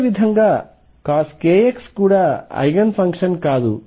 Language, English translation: Telugu, And similarly cosine k x is also not an Eigen function